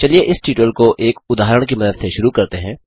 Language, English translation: Hindi, Let us start this tutorial with the help of an example